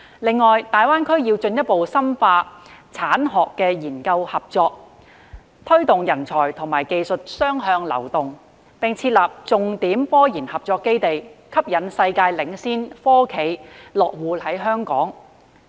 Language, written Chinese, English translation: Cantonese, 此外，大灣區要進一步深化產學研合作，推動人才和技術雙向流動，並設立重點科研合作基地，吸引世界領先科企落戶香港。, In addition GBA should further deepen collaboration among the industry academic and research sectors to promote the two - way flow of talents and technologies and establish key research cooperation bases to attract world - leading science and technology enterprises to set up in Hong Kong